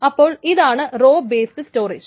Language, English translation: Malayalam, So this is called a row based storage